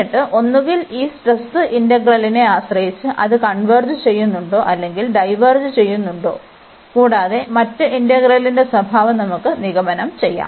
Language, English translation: Malayalam, And then either depending on these stress integral whether that that converges or the diverges, the other integral the behavior of the other integral we can conclude